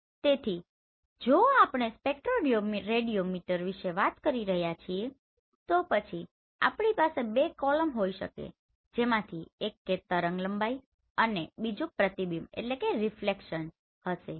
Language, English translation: Gujarati, So if we are talking about this spectroradiometer so then we can have two columns one will be your wavelength and another will be your reflectance